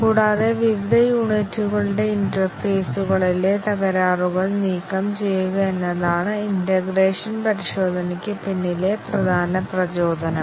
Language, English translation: Malayalam, And, the main motivation behind integration testing is to remove the faults at the interfaces of various units